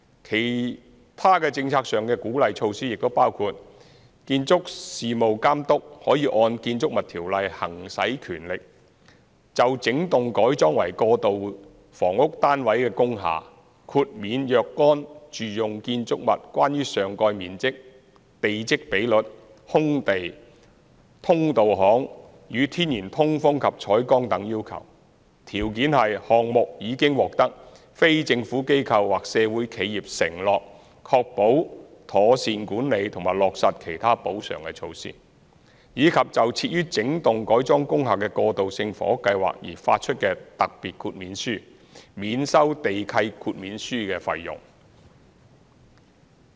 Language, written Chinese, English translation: Cantonese, 其他政策上的鼓勵措施亦包括建築事務監督可按《建築物條例》行使權力，就整幢改裝為過渡性房屋單位的工廈，豁免若干住用建築物關於上蓋面積、地積比率、空地、通道巷與天然通風及採光等要求，條件是項目已獲非政府機構或社會企業承諾確保妥善管理及落實其他補償措施，以及就設於整幢改裝工廈的過渡性房屋計劃而發出的特別豁免書，免收地契豁免書費用。, There are also other policy incentive measures . For instance the Building Professionals may exercise their powers under the Buildings Ordinance to exempt transitional housing units provided through wholesale conversion of industrial buildings from certain domestic building requirements in relation to site coverage plot ratio open space service lane natural ventilation and lighting etc so long as undertakings are secured from the NGOs or social enterprises to ensure proper management and implementation of other compensatory measures; and waiver fees would be exempted for special waivers to be issued in connection with such transitional housing projects in wholesale - converted industrial buildings